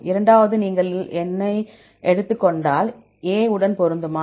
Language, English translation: Tamil, Second one, if you take I, it matches A